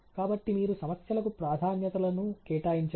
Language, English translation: Telugu, So, then you prioritise the problems